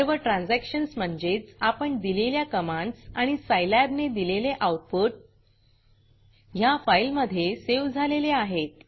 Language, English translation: Marathi, Note that all transactions, both commands and the corresponding answers given by Scilab, have been saved into this file